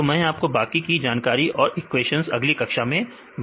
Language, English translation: Hindi, So, I will give you the details with the equations in the next class